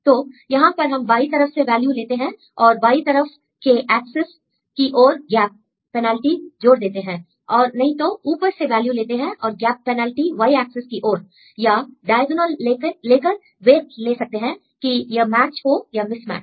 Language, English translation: Hindi, So, here we take the value from left and add a gap penalty along left axis or take the value from the above and the gap penalty along the y axis or take the diagonal and take the weight whether this is match or mismatch